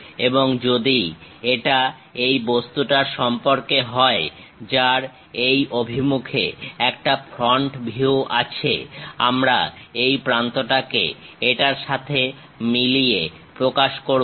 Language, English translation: Bengali, And if it is about this object, having a front view in this direction; we will represent this end, this end matches with this